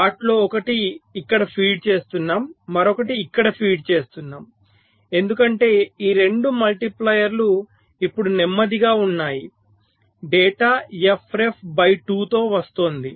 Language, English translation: Telugu, so one of them were feeding to here, other were feeding to here, because these two multipliers are no slower data coming at a f ref by two